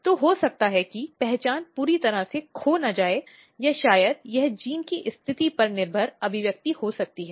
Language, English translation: Hindi, So, may be the identity is not completely lost or maybe this could be the position dependent expression of the genes